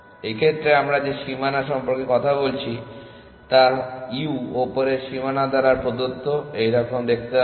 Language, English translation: Bengali, In this case, the boundary that we are talking about their given by the u upper bound on would look something like this